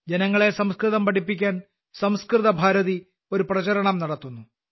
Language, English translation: Malayalam, 'Sanskrit Bharti' runs a campaign to teach Sanskrit to people